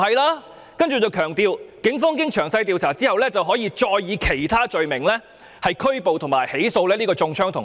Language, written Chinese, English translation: Cantonese, 他說當然不是，並強調警方經詳細調查後，可以其他罪名拘捕和起訴中槍的同學。, He said that it was certainly not the case and he emphasized that the Police could arrest and charge the student who was shot for other offences after detailed investigations